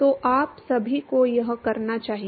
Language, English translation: Hindi, So, you should all do this